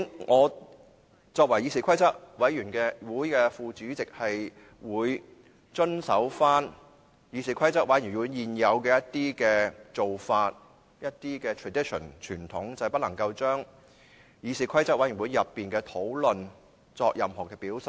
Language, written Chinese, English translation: Cantonese, 我作為議事規則委員會副主席，會遵守議事規則委員會現有的做法及一些傳統，就是不能夠將議事規則委員會內的討論作任何表述。, As the Deputy Chairman of the Committee I will observe the existing practice and tradition of the Committee and that is I will not speak on the deliberations in the Committee meetings